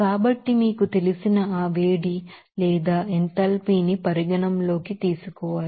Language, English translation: Telugu, So, that heat you know or enthalpy because of that needs to be considered